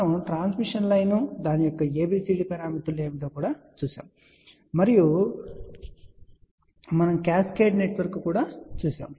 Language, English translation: Telugu, We also looked into the transmission line what are the abcd parameters of that and then we looked at the cascaded network